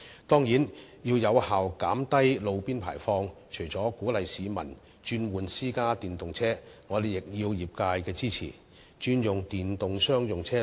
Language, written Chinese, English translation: Cantonese, 當然，要有效減低路邊排放，除了鼓勵市民轉換電動私家車外，我們亦需要得到業界支持轉用商用電動車。, Of course to effectively lower roadside emissions apart from encouraging the public to switch to electric private cars we must also secure the support of the industry to switch to electric commercial vehicles